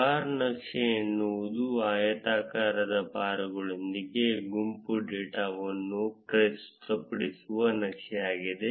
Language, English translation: Kannada, A bar chart is a chart that presents group data with rectangular bars